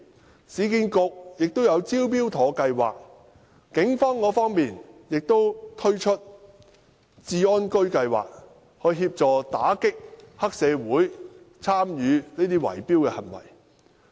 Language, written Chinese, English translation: Cantonese, 市區重建局推出了"招標妥"計劃，警方亦推出了"復安居計劃"，協助打擊有黑社會參與的圍標行為。, The Urban Renewal Authority has introduced the Smart Tender scheme while the Police have launched the RenoSafe Scheme to assist in the fight against bid - rigging activities involving triad members